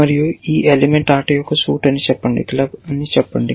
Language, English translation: Telugu, And let us say, this element is suit to play, let us say club